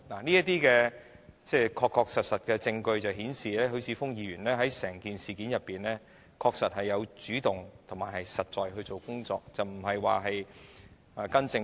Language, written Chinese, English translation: Cantonese, 這些確實的證據顯示，許智峯議員在整件事上確實主動進行實在的工作，並非跟從政府。, All this is actual proof showing that Mr HUI Chi - fung has honestly taken the initiative to do concrete things on the whole matter rather than following the Government